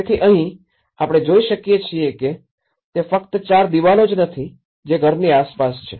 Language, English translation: Gujarati, So here, what we are able to see is that it is not just the four walls which a house is all about